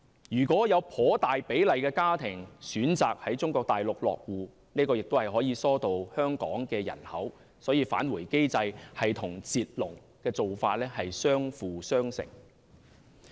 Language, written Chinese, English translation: Cantonese, 如果有頗大比例的家庭選擇在中國大陸落戶，這樣也可以疏導香港的人口，所以"返回機制"與"截龍"的做法相輔相成。, If a larger portion of families opt to settle down in the Mainland they will help divert Hong Kongs population . Therefore a return mechanism and the stop the queue approach are complementary to each other